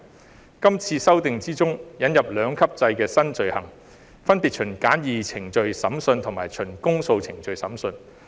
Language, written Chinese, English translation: Cantonese, 在今次修訂之中，引入兩級制新罪行，分別循簡易程序審訊及循公訴程序審訊。, In the current amendment two new offences under a two - tier structure are introduced respectively a summary offence and an indictable offence